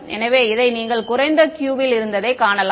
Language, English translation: Tamil, So, this is you can see this had the lowest Q right